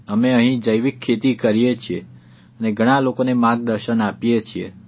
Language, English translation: Gujarati, We do organic farming in our fields and also guide a lot of others regarding it